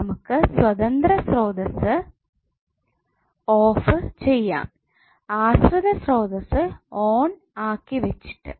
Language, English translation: Malayalam, So you will only switch off independent sources while keeping dependent sources on